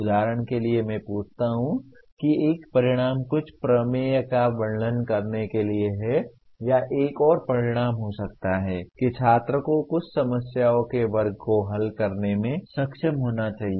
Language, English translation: Hindi, For example I ask one of the outcome is to state some theorem or another outcome could be the student should be able to solve certain class of problems